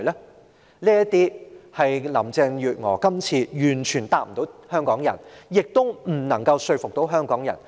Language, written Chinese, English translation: Cantonese, 以上種種問題，林鄭月娥今次完全無法回答香港人，亦未能說服香港人。, Carrie LAM has not given answers to any of these questions to the people of Hong Kong this time around